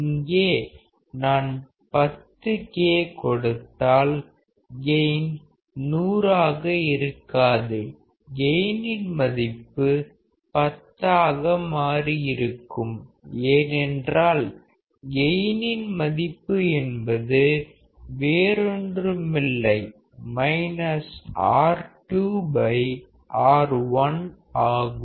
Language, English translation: Tamil, If I put like 10K here, the gain will not be 100; the gain will become 10 because gain is nothing, but minus R 2 by R 1